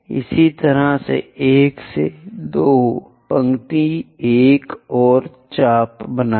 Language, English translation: Hindi, Similarly, make another arc from here 1 to 2 line